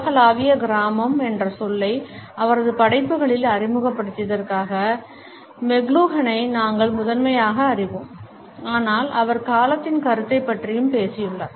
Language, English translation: Tamil, We primarily know McLuhan for introducing us to the term global village in his works, but he has also talked about the concept of time